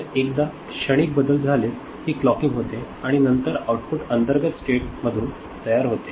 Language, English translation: Marathi, So, once the transients stabilize then the clocking happens and then the output is generated from the internal states